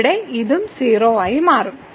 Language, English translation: Malayalam, So, here this will also become 0